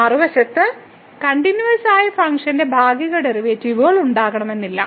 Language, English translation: Malayalam, On the other hand, a continuous function may not have partial derivatives